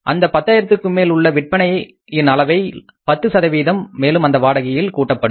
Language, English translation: Tamil, Over and about the $10,000 of sales, 10% of those sales will also be the further added rental value